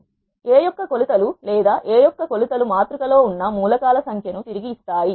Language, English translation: Telugu, Either length of a or product of dimensions of A will return the number of elements that are existing in the matrix